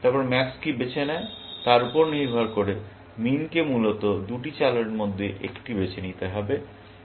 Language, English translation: Bengali, Then, depending on what max chooses, min has to choose within two moves, and so on, essentially